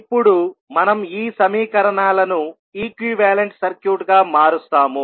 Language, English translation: Telugu, We will convert these equations into an equivalent circuit